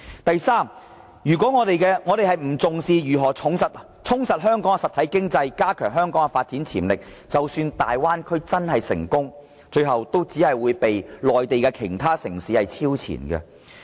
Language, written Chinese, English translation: Cantonese, 第三，如果我們不重視如何充實香港的實體經濟，加強香港的發展潛力，即使大灣區真的成功，最後也只會被內地的其他城市超前。, Third if we ignore the importance of strengthening Hong Kongs real economy and enhancing its development potentials we will only be surpassed by Mainland cities all the same even if the Bay Area development plan really works out